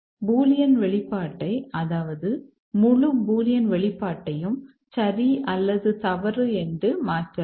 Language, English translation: Tamil, We can replace a bullion expression, entire bullion expression with either true or false